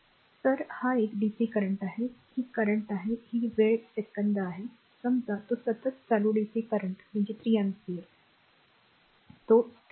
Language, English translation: Marathi, So, this is a dc current, this is current, this is time second, it is the constant suppose current dc, current is that 3 ampere it is constant right